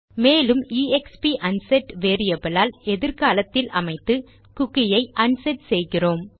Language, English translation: Tamil, And use exp unset variable to set it to a time in the future, thereby unsetting our cookie